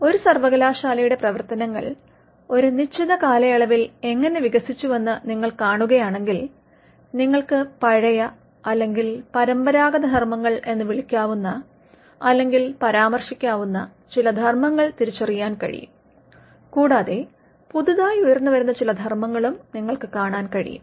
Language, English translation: Malayalam, If you see how the functions of a university has evolved over a period of time, you can identify some functions which are what we can call or referred to as old or traditional functions and we can also see some new and emerging functions